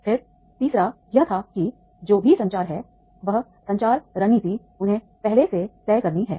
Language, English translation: Hindi, Then the third one was that is the whatever the communication is there, that communication, the strategy they have to decide earlier